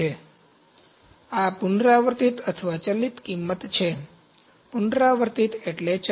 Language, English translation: Gujarati, So, these are recurring or variable cost, recurring means variable